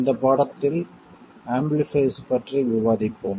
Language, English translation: Tamil, In this lesson we will discuss amplifiers